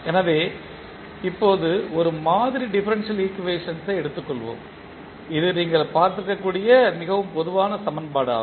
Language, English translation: Tamil, So, now let us take one sample differential equation say this is very common equation which you might have seen